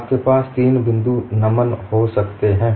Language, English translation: Hindi, You may have a three point bend